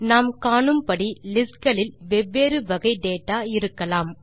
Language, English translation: Tamil, As we can see, lists can contain different kinds of data